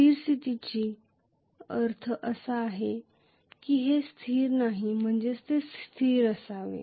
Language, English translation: Marathi, Steady state does not mean it is not a I mean it should be a constant